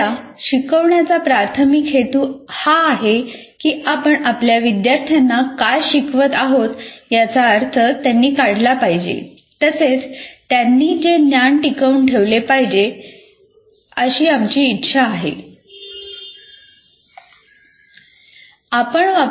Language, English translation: Marathi, The whole, our major purpose in instruction is we not only want our students to make sense of what you are instructing, but we want them to retain that particular knowledge